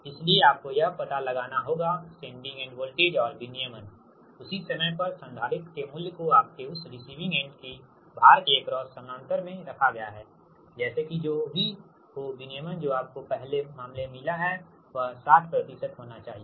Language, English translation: Hindi, so you have to find out that your, what you call that your sending end voltage and voltage regulation, at the same time that the value of the capacitor placed your in that receiving end, that is, across the road, in parallel, right, such that whatever regulation you got in the first case it should be sixty percent of that